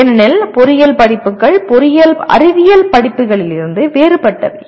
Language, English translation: Tamil, Because engineering courses are different from engineering science courses